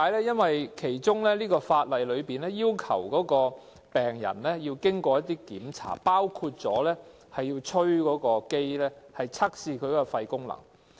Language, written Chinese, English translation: Cantonese, 因為法例要求病人必須通過一些檢查，包括要向機器吹氣，測試其肺功能。, It is because the law requires that patients must pass an assessment including forced vital capacity test in order to assess lung function